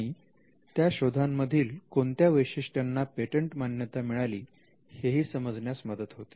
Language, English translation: Marathi, And what were the features of those inventions that were patentable